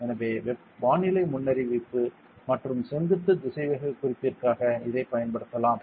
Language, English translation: Tamil, So, we can use it for weather forecast and vertical velocity indication